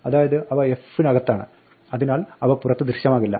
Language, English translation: Malayalam, So, they are inside f, and hence they are not visible outside